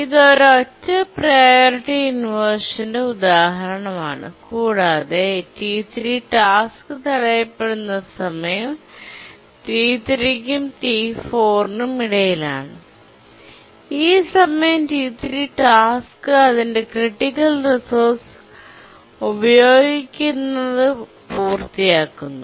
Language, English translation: Malayalam, So this is an example of a single priority inversion and the time for which the task T1 gets blocked is between T3 and T4, where the task T3 completes users of its critical resource